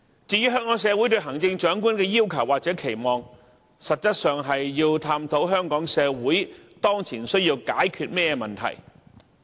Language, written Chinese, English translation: Cantonese, 至於香港社會對行政長官的要求或期望，實際是要探討香港社會當前所需要解決的問題。, As regards the requirements and expectations of our society for the Chief Executive they can in fact be regarded as some kind of inquiries into the problems that Hong Kong must now resolve as a community